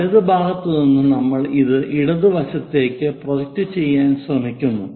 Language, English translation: Malayalam, From right side we are trying to project it on to the left side